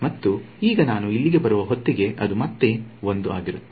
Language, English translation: Kannada, And now by the time I come over here it is going to be 1 again